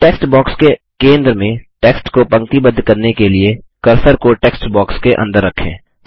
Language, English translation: Hindi, To align the text to the centre of the text box, place the cursor inside the text box